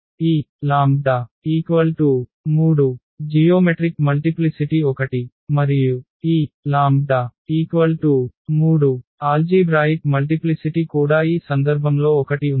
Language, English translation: Telugu, In this case we have the algebraic multiplicity 2, but geometric multiplicity is just 1 in this case